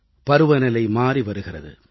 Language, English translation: Tamil, The weather is changing